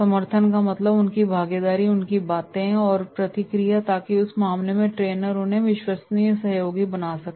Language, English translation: Hindi, Support means their participation and their sayings and feedback so in that case the trainer can make them the trusted allies